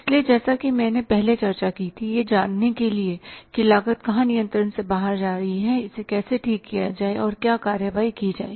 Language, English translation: Hindi, So the purpose as I discussed earlier was that to find out where the cost is going out of control how to correct it and what action can be taken